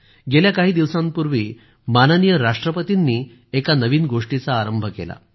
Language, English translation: Marathi, A few days ago, Hon'ble President took an initiative